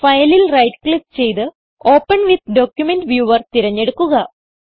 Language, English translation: Malayalam, Right click on the file and choose the option Open with Document Viewer